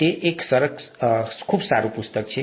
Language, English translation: Gujarati, It's also a nice book